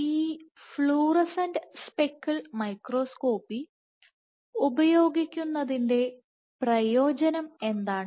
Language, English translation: Malayalam, So, what is the advantage of having of this fluorescent speckle microscopy